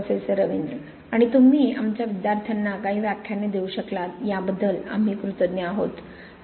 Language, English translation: Marathi, And we are really grateful that you could give some lectures to our students